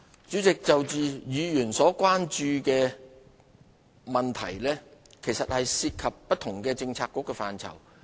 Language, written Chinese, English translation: Cantonese, 主席，就議員所關注的問題，涉及不同政策局的範疇。, President the issues which Members have expressed concern involve the policy purview of different bureaux